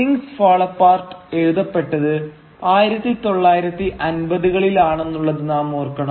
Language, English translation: Malayalam, Well, we should remember that Things Fall Apart was written during the 1950’s